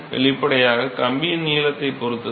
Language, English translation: Tamil, Obviously depends upon length of the wire right